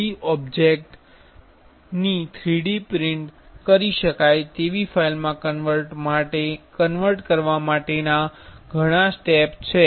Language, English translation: Gujarati, There are several steps to convert from a 3D object to a 3D printable file